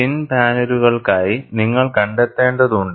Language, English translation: Malayalam, For thin panels, you need to find out